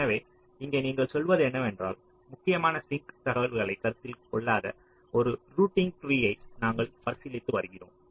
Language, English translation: Tamil, so here what you are saying is that we are considering a routing tree that does not consider critical sink information